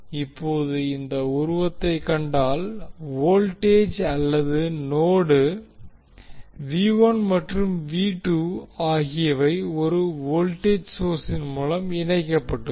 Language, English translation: Tamil, Now if you see this particular figure, the voltage or node, V 1 and V 2 are connected through 1 voltage source